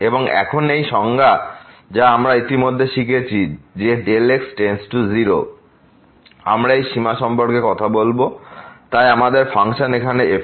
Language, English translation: Bengali, And now the same definition what we have learnt already that the delta goes to 0, we will be talking about this limit so our function here